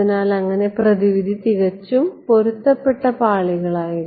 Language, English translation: Malayalam, So, then thus remedy was perfectly matched layers right